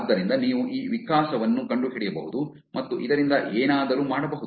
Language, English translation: Kannada, So you can find this evolution and make something out of this also